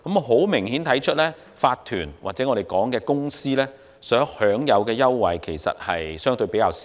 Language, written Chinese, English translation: Cantonese, 很明顯，法團或我們所稱的公司，所享有的優惠其實相對較少。, Obviously corporations or companies as we call them actually enjoy less concession